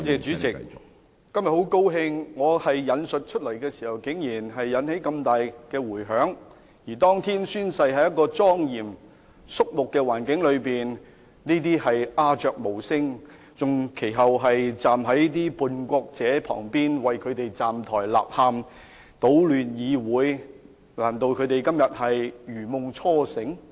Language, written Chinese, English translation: Cantonese, 主席，今天很高興我引述的說話竟然引起這麼大的迴響，而當天宣誓，是在一個莊嚴、肅穆的環境中，但這些議員則鴉雀無聲，其後更站在叛國者的旁邊，為他們站台納喊、搗亂議會，難道這些議員今天如夢初醒？, President I am glad that my quote has triggered such a strong response . But on the day of oath - taking in a solemn and serious environment these Members did not make a sound; they even stood by and cheered for the traitors and disturbed the order of the Council . Do they realize that they were wrong then?